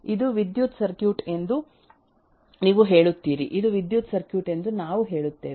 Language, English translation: Kannada, You will say this is an electrical circuit right this is this we say is an electrical circuit